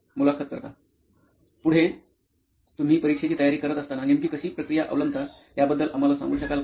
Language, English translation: Marathi, Next, could you just take us through how your process would be when you are preparing for an exam